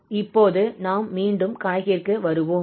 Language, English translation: Tamil, So now we will get back to the problem